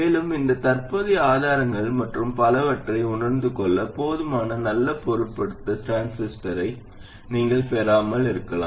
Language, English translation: Tamil, And also you may not get sufficiently good matched transistors to realize these current sources and so on